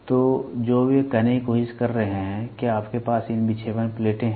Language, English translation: Hindi, So, what they are trying to say is you have these deflecting plates